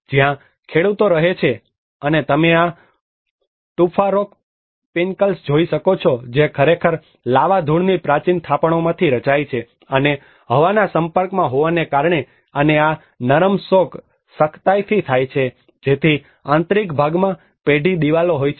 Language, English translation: Gujarati, Where lot of peasants live and you can see these tufa rock pinnacles which are actually formed from the ancient deposits of the lava dust, and because of the exposure to the air and these soft rock hardens so that the interiors have firm walls